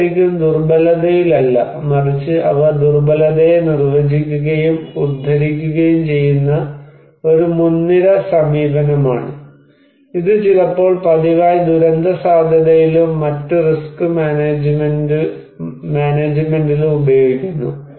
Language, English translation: Malayalam, It is not really on vulnerability, but they are one of the pioneering approach that define and quoted the vulnerability and which was now very regularly used in disaster risk and other risk management